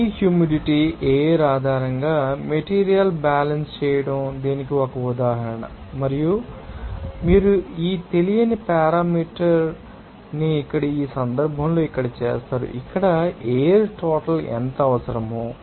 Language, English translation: Telugu, So, this is one example of you know are doing the material balance based on this humidity, the air, and of course, you will be doing that you know unknown parameter here in this case here what would be the amount of air is required